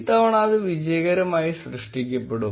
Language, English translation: Malayalam, This time it will successfully get created